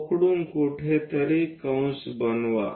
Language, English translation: Marathi, From O make an arc somewhere there